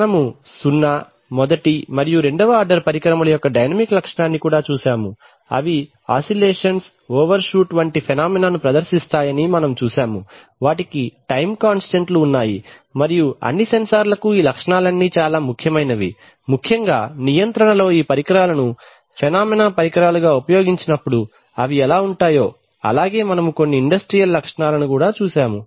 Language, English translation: Telugu, We have also looked at the dynamic characteristic of zeroth, first and second order instruments and we have seen that they exhibit phenomena like oscillations, overshoot, they have time constants and all the sensor all these characteristics are very important especially when these devices are used as feedback devices in control ,we have also seen some industrial specifications